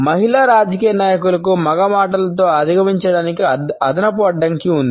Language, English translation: Telugu, Female politicians have an additional hurdle to overcome with male words